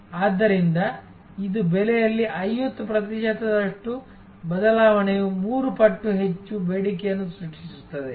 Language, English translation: Kannada, So, this is a 50 percent change in price creates 3 times more demand